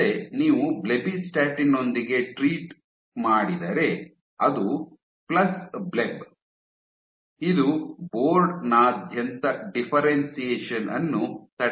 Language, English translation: Kannada, Again, if you treat with blebbistatin, so it is plus blebb, it inhibits differentiation across the board